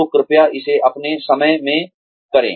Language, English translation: Hindi, So, please do it in your own time